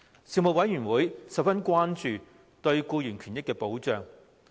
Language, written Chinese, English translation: Cantonese, 事務委員會十分關注僱員權益保障。, Protection for employees rights and benefits was high on the Panels agenda